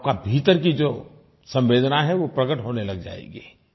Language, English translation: Hindi, The empathy within you will begin to appear